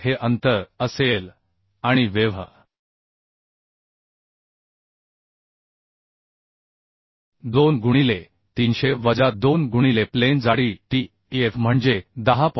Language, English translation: Marathi, 4 will be this distance plus the web web will be 2 into 300 minus 2 into flange thickness tf that is 10